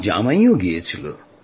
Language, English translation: Bengali, Our son in law too had gone there